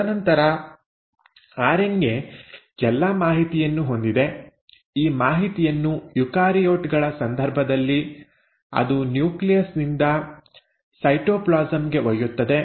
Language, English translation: Kannada, And then the RNA has all the information it carries this information from the nucleus to the cytoplasm which happens in case of eukaryotes